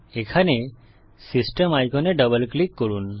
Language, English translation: Bengali, Once here, double click on the System icon